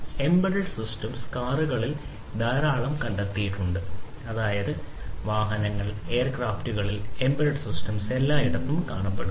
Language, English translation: Malayalam, So, embedded systems have found a lot in the cars; that means, you know vehicles, these are found in aircrafts embedded systems are found everywhere